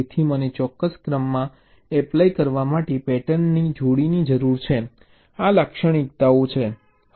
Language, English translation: Gujarati, so i need a pair of patterns to be applied in a particular sequence